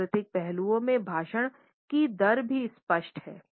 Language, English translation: Hindi, The cultural aspects in the rate of speech are also apparent